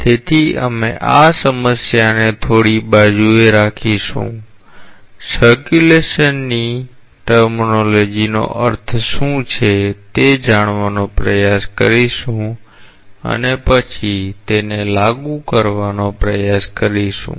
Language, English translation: Gujarati, So, we will keep this problem a bit aside, try to learn what is the meaning of the terminology circulation and then we will try to apply it